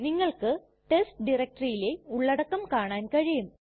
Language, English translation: Malayalam, You can see the contents of the test directory